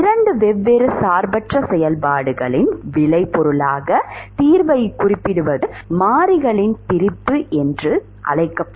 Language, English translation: Tamil, Representing the solution as a product of 2 different independent functions is what is called as separation of variables